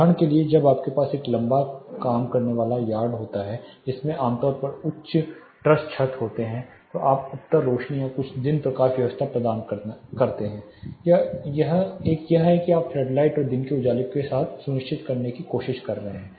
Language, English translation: Hindi, For example, when you have a long working yard which has typically high truss roofs then you provide the north lights are few day lighting systems one is your trying to ensure with flood lights and daylight